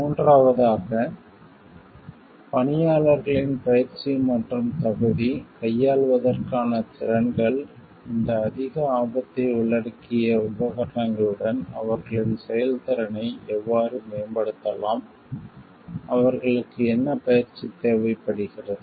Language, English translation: Tamil, Third is for the training and qualification of personnel the competencies for dealing, with this like high risk involved equipments what are their like how their performances can be improved so, what is their training required